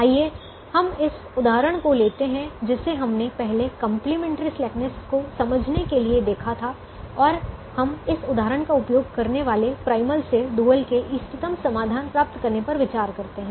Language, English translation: Hindi, let's take this example that we have seen just previously to understand the complimentary slackness and the the idea of getting the optimum solution of the dual from that of the primal